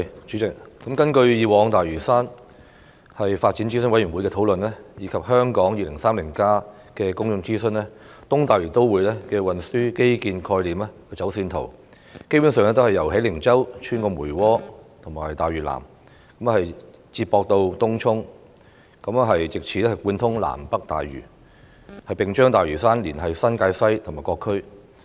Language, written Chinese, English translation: Cantonese, 主席，根據大嶼山發展諮詢委員會過往所作的討論，以及有關《香港 2030+》的公眾諮詢，東大嶼都會的運輸基建概念和走線圖，基本上是由喜靈洲穿過梅窩和大嶼南，再接駁至東涌，藉以貫通南北大嶼，並將大嶼山連繫至新界西和各區。, President according to past discussions at the Lantau Development Advisory Committee and the public consultation paper of the Hong Kong 2030 Towards a Planning Vision and Strategy Transcending 2030 under the basic concept and alignment plan of transport infrastructural development for East Lantau Metropolis a road was proposed to be constructed to link up Hei Ling Chau and Tung Chung via Mui Wo and South Lantau thereby providing a through road connecting South Lantau with North Lantau and linking up Lantau Island further with New Territories West and various districts